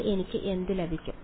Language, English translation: Malayalam, So, what do I get